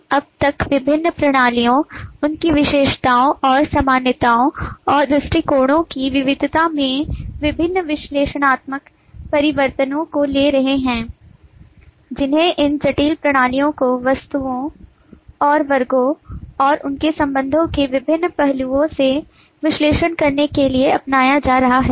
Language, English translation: Hindi, we have so far been taking different analytic looks into complex systems, their attributes and variety of commonalities and approaches that could be adopted to analyse this complex systems from various aspects of objects and classes and their relationships